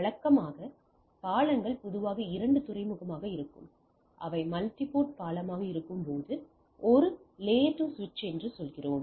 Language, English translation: Tamil, Usually bridge bridges are typically two port when it is multiport bridge we say a layer 2 switch right